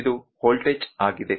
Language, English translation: Kannada, This is this is the voltage